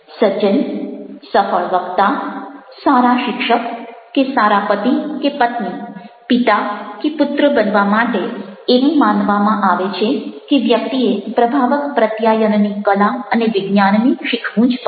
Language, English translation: Gujarati, to become a gentleman, a successful orator, a good teacher or a good husband or wife, a father or a son, it is believed that one must learn the art and science of effective communication